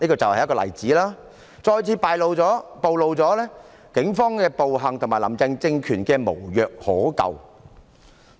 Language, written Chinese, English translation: Cantonese, 這例子再次暴露了警方的暴行及"林鄭"政權的無藥可救。, Again this example exposed the violent acts of the Police and the fact that Carrie LAMs regime is beyond cure